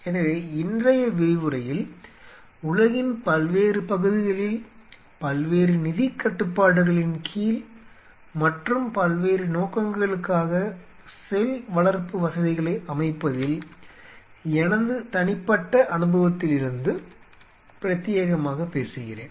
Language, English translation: Tamil, So, todays lecture I will be talking exclusively from my personal experience of setting up cell culture facilities in different parts of the world under different financial constraints and for different kind of purpose